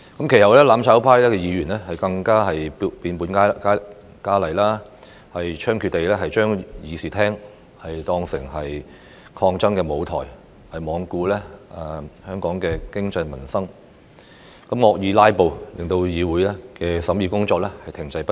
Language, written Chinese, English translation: Cantonese, 其後，"攬炒派"議員更變本加厲，猖獗地將議事廳當作抗爭舞台，罔顧香港的經濟民生，惡意"拉布"，令議會的審議工作停滯不前。, Since then Members seeking mutual destruction went even further to use the Chamber as a stage for intensive protests taking no account of Hong Kongs economy and peoples livelihoods . The Councils deliberative work was brought to a standstill by their malicious acts of filibustering